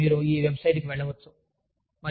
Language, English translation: Telugu, So, you can go to this website